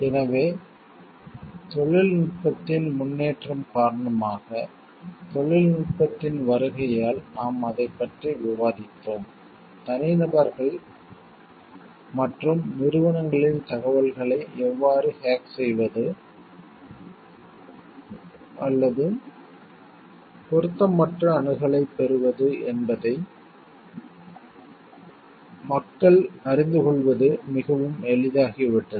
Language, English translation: Tamil, So, be that we were discussing it is because of the advent of technology because of the advancements in technology, it has become quite easy for people to know how to hack or get inappropriate access into the information of individuals and even organizations